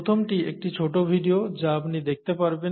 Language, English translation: Bengali, The first one you can it is it is a small video you can watch